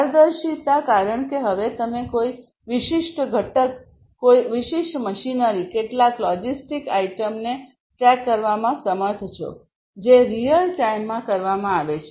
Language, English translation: Gujarati, Transparency because now you are able to track a particular component, a particular machinery, a you know, track some you know logistic item you can do all of these things in real time